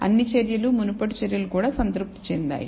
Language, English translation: Telugu, All the measures, previous measures also, were satisfied